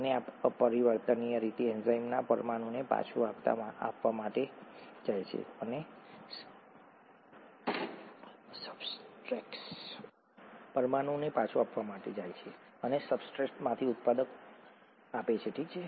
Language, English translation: Gujarati, And this irreversibly goes to give the enzyme molecule back and the product from the substrate, okay